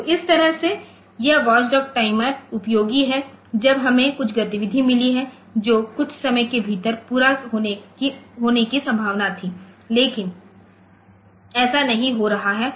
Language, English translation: Hindi, So, this way this watchdog timer is useful when we have got some activity which was suppose to be complete within some time, but it is not